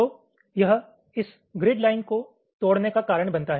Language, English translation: Hindi, so this causes this grid line to be broken